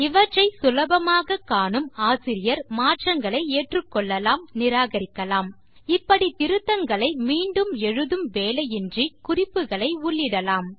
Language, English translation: Tamil, This can be easily seen by the author who can accept or reject these changes and thus incorporate these edit comments without the effort of making the changes once again